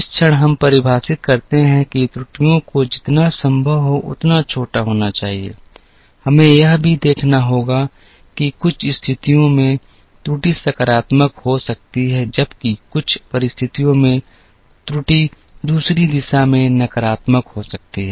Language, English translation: Hindi, The moment we define that the errors have to be as small as possible, we also have to observe that in some situations, the error can be positive while in some other situation, the error can be negative in the other direction